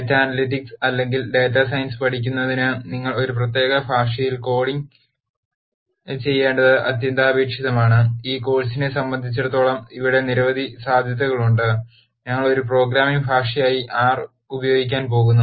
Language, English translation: Malayalam, For teaching data analytics or data science it is imperative that you do coding in a particular language there are many possibilities here as far as this course is concerned we are going to use R as a programming language